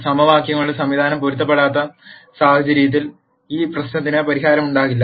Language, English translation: Malayalam, And in the case where the system of equations become inconsistent, there will be no solution to this problem